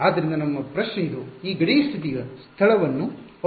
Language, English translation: Kannada, So, your question is that is this boundary condition dependent on the boundary location